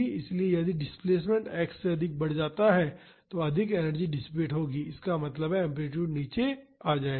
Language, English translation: Hindi, So, if the displacement increases beyond x naught more energy will be dissipated so; that means, the amplitude will come down